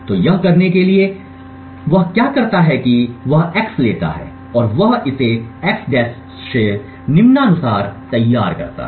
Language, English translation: Hindi, So, in ordered to do this what he does is he takes x and he devise it by x~ as follows